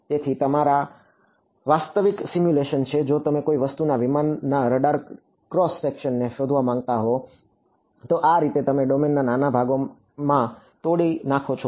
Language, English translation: Gujarati, So, these are actual simulations of you know if you want to find out the radar cross section of aircraft of something, this is how you would break up the domain